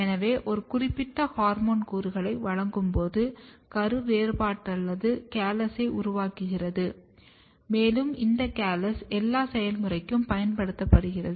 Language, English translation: Tamil, So, when you give a certain hormone component then the embryo generates dedifferentiated callus and this callus is further used for our further process